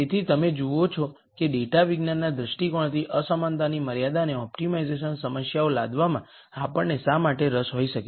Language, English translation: Gujarati, So, you see why we might be interested in imposing inequality constraints and optimization problems from a data science viewpoint